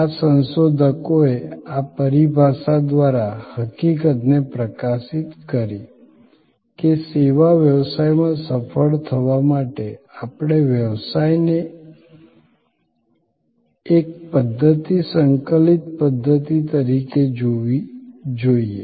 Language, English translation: Gujarati, These researchers through this terminology highlighted the fact; that in service business to succeed, we must look at the business as a system, integrated system